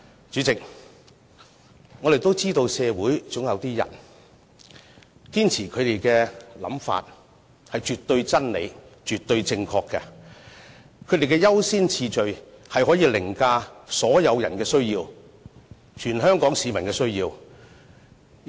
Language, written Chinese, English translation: Cantonese, 主席，我們都知道社會上總有一些人，堅持自己的想法是絕對真理、絕對正確，他們的優先次序可以凌駕所有人的需要，凌駕全香港市民的需要。, Chairman we all know that certain people in society insist that their beliefs are absolute truths and they absolutely in the right . Their priorities can override the needs of all others the needs of all Hong Kong people